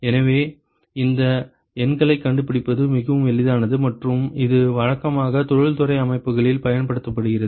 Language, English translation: Tamil, So, it is very easy to find these numbers and it is routinely used in industrial settings